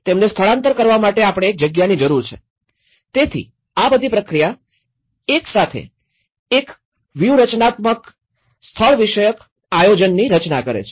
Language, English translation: Gujarati, We need a place, for keeping them this evacuated, so all this whole process together frames into a strategic spatial planning